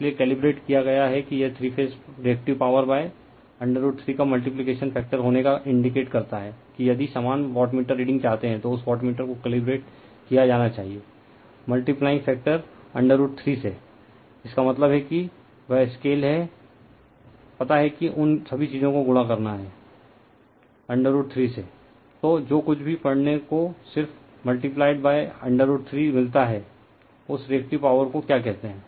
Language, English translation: Hindi, So, calibrated that it indicates three phase Reactive Power by having a , multiplication factor of root 3 , that if you want same wattmeter reading , that wattmeter has to be calibrated , by multiplying factor root three; that means, that is the scale is there know , that those all this thing has to be multiplied by root 3